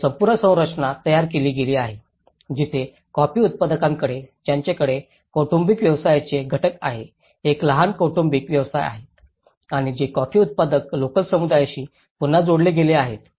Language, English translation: Marathi, And the whole structure has been framed where the coffee growers they have the constituents of family businesses a small family businesses and which are again linked with the coffee growers local communities